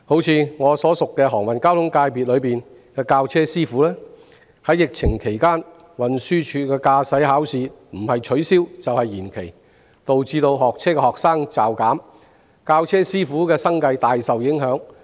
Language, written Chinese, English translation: Cantonese, 以我熟識的航運交通界別來說，在疫情期間，運輸署的駕駛考試不是取消，就是延期，導致學車的學生驟減，教車師傅的生計大受影響。, Take the transport sector with which I am familiar as an example . During the epidemic the Transport Department has either cancelled or postponed driving tests . As a result the drastic drop in the number of students taking driving lessons has greatly affected the livelihood of driving instructors